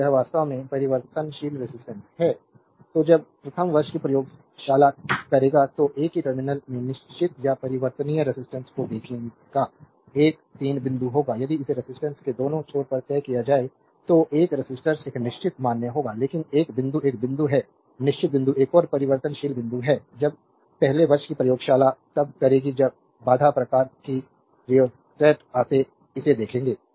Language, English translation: Hindi, So, this is actually variable resistance; so when we will do first year laboratory, you will see the fixed or variable resistance in the same one terminal will be 1 3 point if we fixed it on the both the end of the resistance a resistor will find is a fixed value, but one point is a fixed point another is a variable point, when we will do first year laboratory if the barrier type of rheostat you will see this